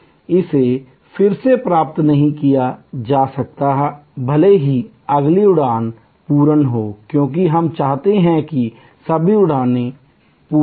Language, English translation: Hindi, It cannot be recovered, even if the next flight goes full, because we want all flights to go full